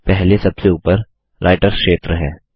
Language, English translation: Hindi, The first is the Writer area on the top